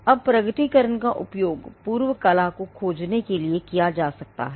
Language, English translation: Hindi, Now the disclosure can be used to search the prior art